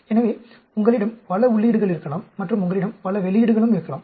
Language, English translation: Tamil, So, you may have several inputs and you may have several outputs also